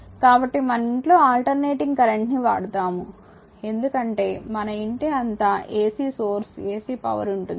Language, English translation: Telugu, So, alternating current is use in our house hold the because all our household everything is ac source, ac power right